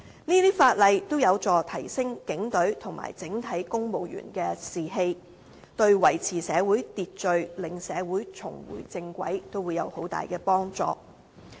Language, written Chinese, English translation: Cantonese, 這些法例均有助提升警隊和整體公務員的士氣，對維持社會秩序、令社會重回正軌也會有很大的幫助。, These laws can help boosting the morale of police officers and civil servants in general and will be highly effective in maintaining order and bringing society back on the right track